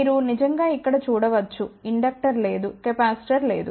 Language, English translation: Telugu, You can actually see here there is a no inductor there is a no capacitor